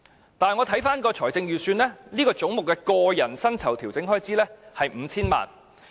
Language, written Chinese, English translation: Cantonese, 然而，我再看財政預算，此總目的個人薪酬調整開支是 5,000 萬元。, However I noticed that the estimate for personal emoluments under this head in the Budget was 50 million